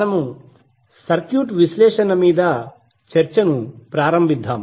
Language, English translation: Telugu, So let us start the discussion of the circuit analysis